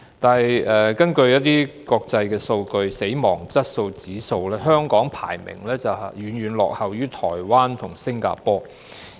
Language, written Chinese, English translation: Cantonese, 不過，根據一些國際數據，例如死亡質素指數方面，香港的排名遠遠落後於台灣和新加坡。, However according to some international data such as the Death Quality Index Hong Kong ranks far behind Taiwan and Singapore